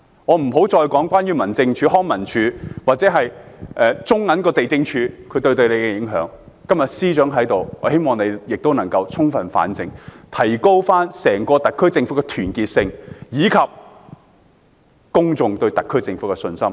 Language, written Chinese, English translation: Cantonese, 我且不再說民政事務總署、康樂及文化事務署或地政總署對你的影響，我希望司長充分反省，提高整個特區政府的團結性，以及公眾對特區政府的信心。, I will for the time being refrain from talking about the implications to him arising from the lack of coordination among the Home Affairs Department the Leisure and Cultural Services Department and the Lands Department . I hope the Chief Secretary for Administration will do some thorough reflection and enhance the unity of the entire SAR Government and the trust of the public in the SAR Government